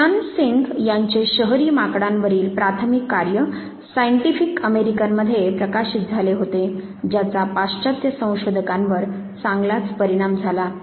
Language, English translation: Marathi, Sheodan Singh seminal work on the urban monkey which was published in scientific American, it heavily influenced the western researchers